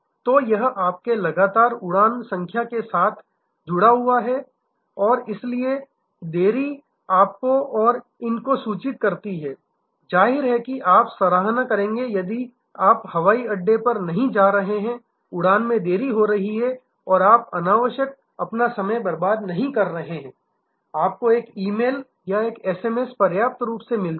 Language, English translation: Hindi, So, it is tied in with your frequent flyer number and so delays are inform to you and these; obviously, will appreciate that you are not going to the airport, flight is delayed and you are unnecessary wasting your time, you get an E mail or an SMS early enough